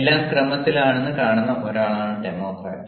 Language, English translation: Malayalam, a democrat is one who sees that everything is in order